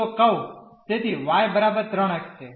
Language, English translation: Gujarati, So, the curve so, y is equal to 3 x